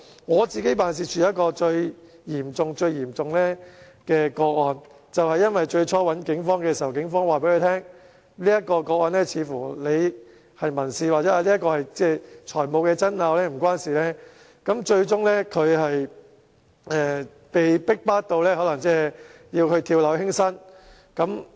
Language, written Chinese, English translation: Cantonese, 我的辦事處接到一宗最嚴重的個案，是事主最初向警方求助，警方對他說這宗個案似乎是民事或財務爭拗，導致該市民最終被逼迫至跳樓輕生。, My office recently received a most serious case . The victim initially sought help from the Police but the Police told him that the case seemed to be a civil or financial dispute . As a result the person was eventually forced to plunge to his death